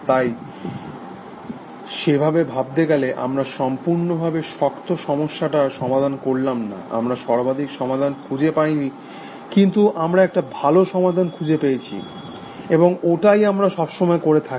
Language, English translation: Bengali, So, in that sense we do not solve, hard problems completely, we do not find optimal solutions, but we tend to find good solutions essentially, and that is what we do all the time